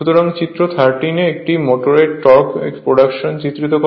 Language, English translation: Bengali, So, figure 13 illustrate the production of torque in a motor